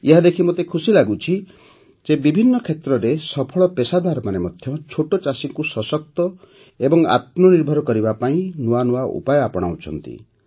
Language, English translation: Odia, I feel very happy to see that successful professionals in various fields are adopting novel methods to make small farmers empowered and selfreliant